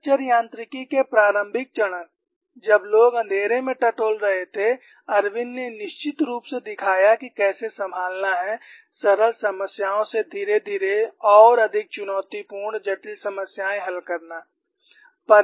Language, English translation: Hindi, The initial stage of fracture mechanics, where people were grouping in the dark, Irwin definitely showed the way how to handle graduate from simpler problems to more challenging complex problems